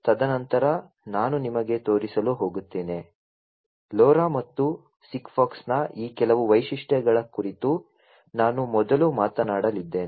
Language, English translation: Kannada, And then I am going to show you; you know, so I am going to first talk about some of these features of LoRa and SIGFOX